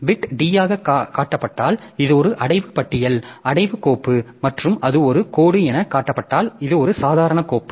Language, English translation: Tamil, If the beat is shown as D, that means it is a directory list, directory file and if it is shown as a dash that means it is an ordinary file